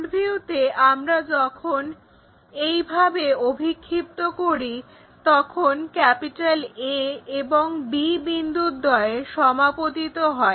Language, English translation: Bengali, So, when we are projecting in that way the front view both A B points coincides